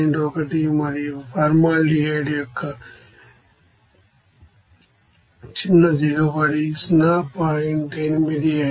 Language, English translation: Telugu, 1 and the fractional yield of formaldehyde is 0